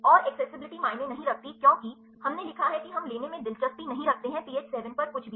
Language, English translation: Hindi, And the accessibility does not matter because; we wrote we are not interested in we taking anything on the pH 7